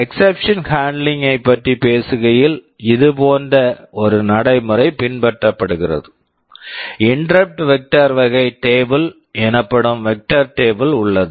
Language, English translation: Tamil, Talking about exception handling, a process like this is followed; there is an interrupt vector kind of a table called vector table